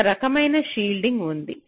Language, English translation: Telugu, shielding is important